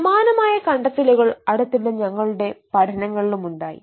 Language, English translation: Malayalam, similar kind of findings also we observe in our own study recently